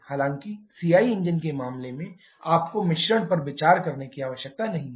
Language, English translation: Hindi, In case of CI engines however you do not need to consider the mixture